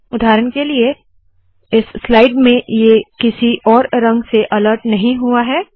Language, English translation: Hindi, For example, in this slide, it does not alert with a different color